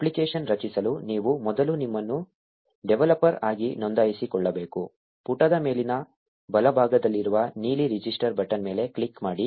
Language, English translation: Kannada, To create an app, you need to first register yourself as a developer; click on the blue register button on the top right of the page